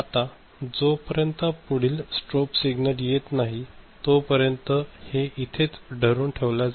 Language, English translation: Marathi, So, it will remain latched till the next strobe signal comes ok